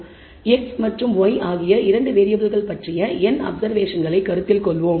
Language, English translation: Tamil, So, let us consider n observations of 2 variables x and y